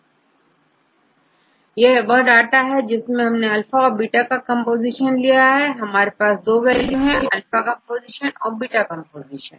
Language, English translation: Hindi, So, I have the composition for alpha and I have the composition for beta, I have 2 values, this is alpha composition and this is beta composition